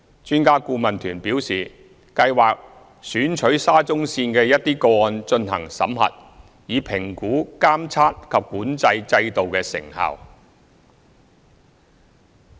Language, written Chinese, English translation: Cantonese, 專家顧問團表示，計劃選取沙中線的一些個案進行審核，以評估監測及管制制度的成效。, The Expert Adviser Team indicated that it would audit selected cases of the SCL Project to assess the effectiveness of the monitoring and control system